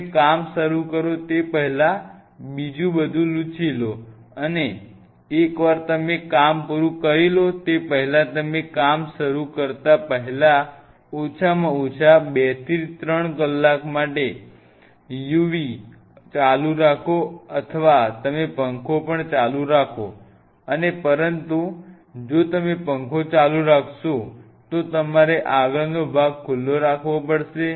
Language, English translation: Gujarati, Before you start the work do another wipe, and once you finish the work overnight keep the u v on at least for 2 to 3 hours before you start the work or you can even leave the fan on there is no and, but if you keep the fan on then you have to keep the front opening also open